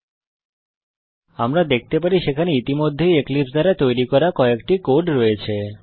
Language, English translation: Bengali, As we can see, there is already some code, Eclipse has generated for us